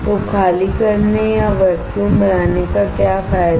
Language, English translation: Hindi, So, what is the advantage of evacuating or creating a vacuum